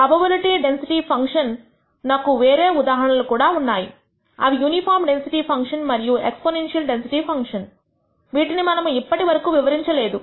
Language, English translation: Telugu, There are other examples of probability density functions such as the uniform density function and exponential density function which we have not touched upon